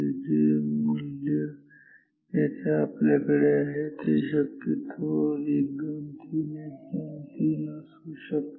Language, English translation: Marathi, So, the value we will have here is possibly 1 2 3 1 2 3